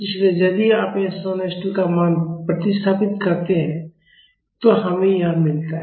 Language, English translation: Hindi, So, if you substitute the value of s 1 and s 2 we get this